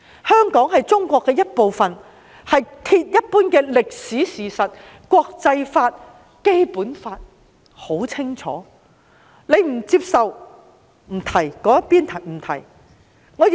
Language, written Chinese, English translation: Cantonese, 香港是中國的一部分，這是鐵一般的歷史事實，國際法、《基本法》已經很清楚，但他並不接受，也不提及這些。, Hong Kong is part of China . This is an ironclad fact in history which has been enshrined in the international law and the Basic Law . Nonetheless he does not accept it and has made no mention of these